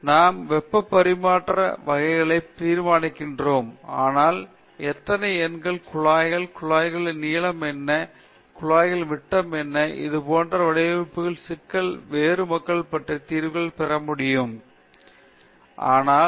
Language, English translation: Tamil, But now I have 100 kilowatts of heat to be transferred, I decide the type of heat exchanger, but how many numbers of tubes, what is the length of the tubes, what is the diameter of the tube that is a design problem, different people can get different solutions, is it okay